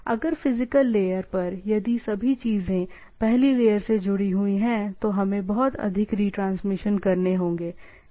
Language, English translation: Hindi, So, if at the physical layer, if all things are connected at the first layer, then we have lot of retransmission